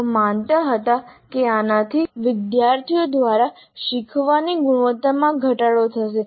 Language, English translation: Gujarati, They believed that this would reduce the quality of learning by students